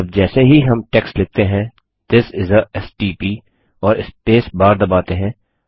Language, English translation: Hindi, Now as soon as we write the text This is a stp and press the spacebar